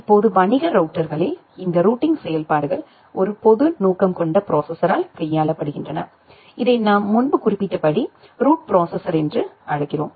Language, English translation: Tamil, Now, in commercial routers, these routing functions are handled by a single general purpose processor which we call as the route processor that I have mentioned earlier